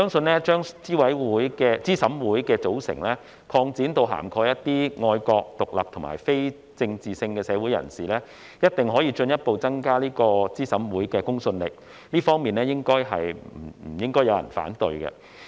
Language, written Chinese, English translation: Cantonese, 我相信把資審會的組成擴展至涵蓋一些愛國、獨立和非政治性的社會人士，一定可進一步增加資審會的公信力，這方面應該不會有人反對。, I believe that expansion of the composition of CERC to include patriotic independent and apolitical members of the community will certainly further enhance the credibility of CERC . There should be no objection to this